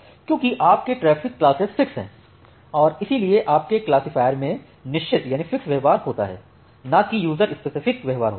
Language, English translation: Hindi, Because your traffic classes are fixed and that is why your classifier has a fixed behaviour, rather than a user specific behaviour